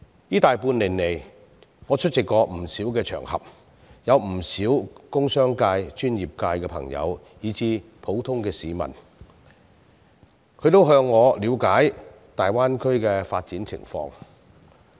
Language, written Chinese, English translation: Cantonese, 這大半年來，在不少場合曾有不少工商界、專業界的朋友以至普通市民向我了解大灣區的發展情況。, Over the past seven months or so I have received many enquiries about the development of the Greater Bay Area from many people of the industrial business and professional sectors and members of the public on many occasions